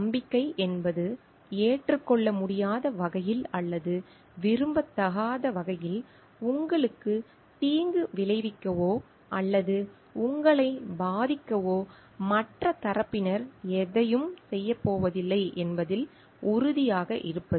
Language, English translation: Tamil, Confidence means being sure that the other party is not going to do anything to harm you or affect you in a way that is not acceptable or in an undesired manner